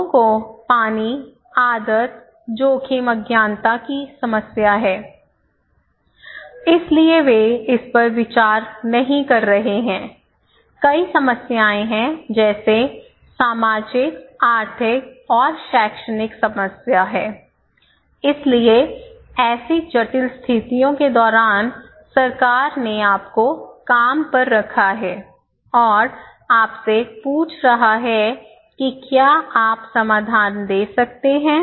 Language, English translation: Hindi, People have water problem, people have habit problem, people have problem of risk ignorance so, they are not considering so, many problems, one is socio economic problem, another one is the educational problem so, during such a complex situations, the government is hiring you and asking you that what solution you can give